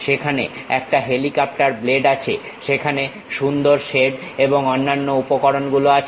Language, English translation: Bengali, There is a helicopter blades, there is a nice shade, and other materials